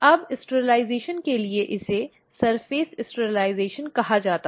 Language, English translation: Hindi, Now, for sterilization it is called as Surface sterilization